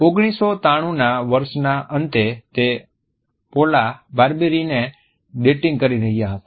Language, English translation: Gujarati, At the end of the year of 1993 he was dating Paula Barbieri